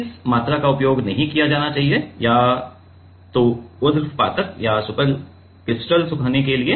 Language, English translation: Hindi, which of the volume should not be used for either sublimation or super critical drying